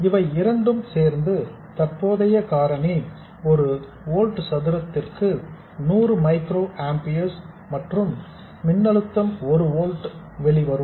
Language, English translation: Tamil, These two together mean that the current factor is 100 microamper per volt square and the threshold voltage will be 1 volt